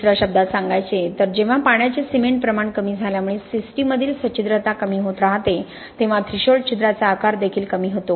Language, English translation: Marathi, In other words when the existing porosity in the system keeps on reducing because of reduction of water cement ratio the threshold pore size also reduces